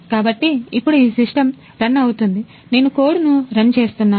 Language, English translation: Telugu, So now this system is running I have run the code